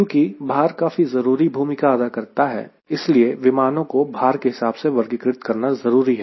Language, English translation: Hindi, so weight does play an important role, so that there is a need to characterize an airplane one way through weight